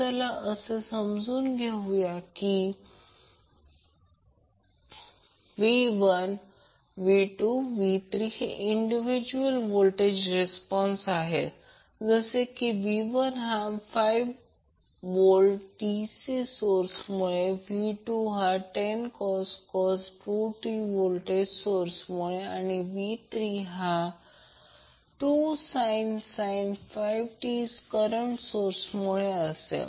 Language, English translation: Marathi, So let us assume that v 1, v 2, and v 3 are the individual voltage responses when you take DC and then the 10 cos 2 t volt and then finally v 3 is corresponding to the current source that is 2 sin 5 t taken into the consideration